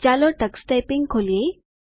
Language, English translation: Gujarati, Let us open Tux Typing